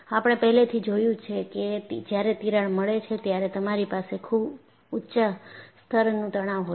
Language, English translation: Gujarati, And, we have already emphasized that the moment you have a crack, you will have very high level of stresses